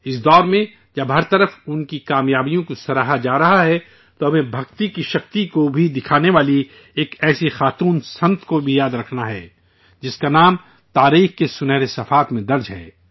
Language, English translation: Urdu, In this era, when their achievements are being appreciated everywhere, we also have to remember a woman saint who showed the power of Bhakti, whose name is recorded in the golden annals of history